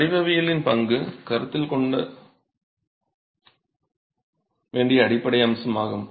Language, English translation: Tamil, Fundamental aspect to be considered is the role of geometry